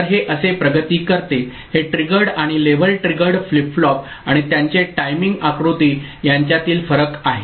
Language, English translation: Marathi, So, this is the way it progresses this is a difference between edge triggered and level triggered flip flop and their timing diagram